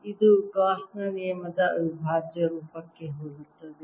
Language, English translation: Kannada, this is similar to the integral form of gauss's law